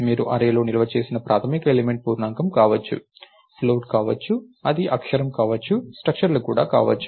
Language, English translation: Telugu, The basic element that you stored in an array can be an integer, can be a float, it can be a character, it can also be structures